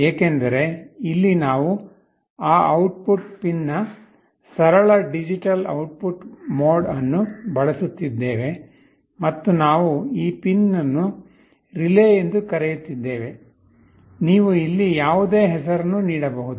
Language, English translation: Kannada, Because, here we are using a simple digital output mode of that output pin and we are calling this pin as “relay”, you can give any name here